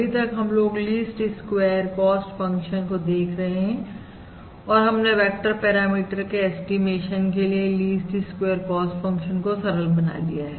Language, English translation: Hindi, So so far we are looking at the least squares cost function and we have simplified the least squares cost function for the estimation of a vector parameter